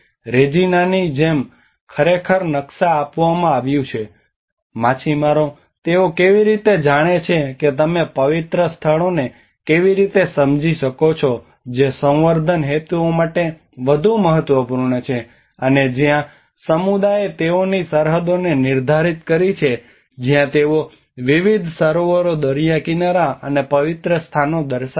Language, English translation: Gujarati, Like Regina have actually a map given how the fishermen they understand the sacred places you know which are more important for the breeding purposes and where the community have defined the boundaries where they have defined the boundaries showing different lakes, beaches and the sacred places